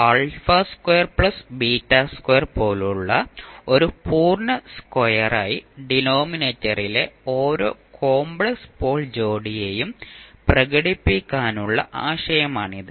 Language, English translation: Malayalam, This is the idea to express the each complex pole pair in the denominator as a complete square such as s plus alpha squared plus beta square